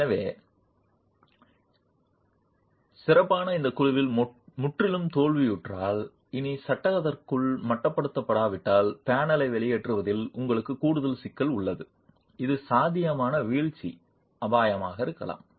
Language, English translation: Tamil, So, at ultimate if the panel is completely failed and is no longer confined within the frame, you have an additional problem of expulsion of the panel which can be a potential falling hazard